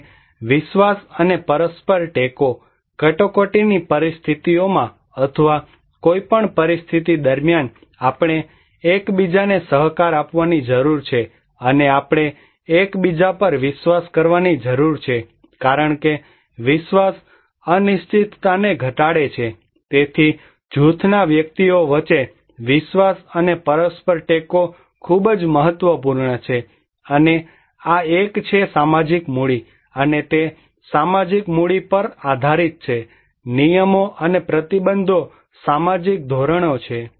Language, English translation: Gujarati, And trust and mutual support, during emergency situations or any situations, we need to cooperate with each other and we need to trust each other because trust minimize the uncertainty so trust and mutual support between individuals in a group is very important and this is one of the social capital, and also it depends on the social capital, the rules and sanctions, social norms are there